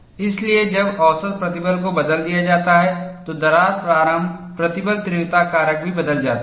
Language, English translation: Hindi, So, when the mean stress is changed, the crack initiation stress intensity factor also changes